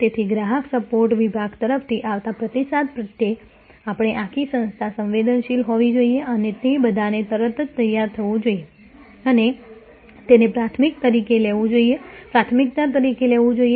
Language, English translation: Gujarati, So, the whole organization we should be sensitive to the feedback coming from the customer support department and they must all immediately gear up and take it up as a priority